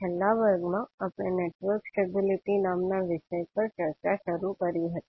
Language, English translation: Gujarati, So in the last class, we started the, our discussion on, the topic called Network Stability